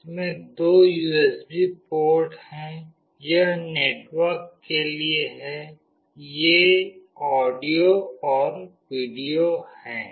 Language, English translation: Hindi, It has got two USB ports; this is for the network, these are audio and video